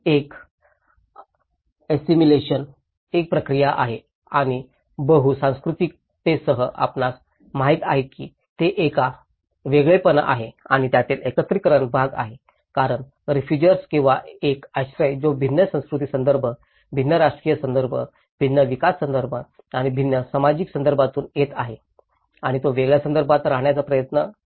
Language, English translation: Marathi, One is an assimilation process and with the multiculturalism, you know, whether it is a segregation or an integration part of it because a refugee or an asylum who is coming from a different cultural context, different political context, different development context and different social context and he tried to get accommodation in a different context